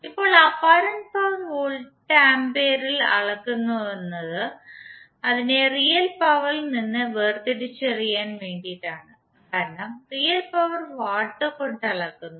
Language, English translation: Malayalam, Now the apparent power is measured in volts ampere just to distinguish it from the real power because we say real power in terms of watts